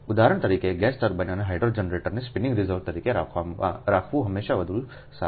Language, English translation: Gujarati, for example, it is always better to keep gas turbine and hydro generators as spinning reserve